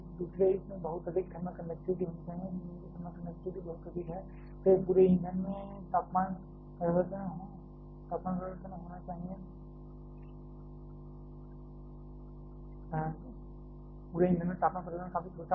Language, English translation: Hindi, Secondly, it should have a very high thermal conductivity, the thermal conductivity of the fuel is very high, then the temperature change across the fuel itself will be quite small